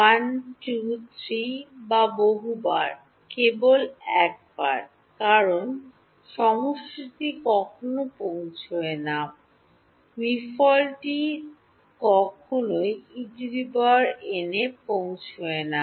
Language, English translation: Bengali, 1, 2, 3 or many times, only once because, the summation never reaches, the m summation never reaches E n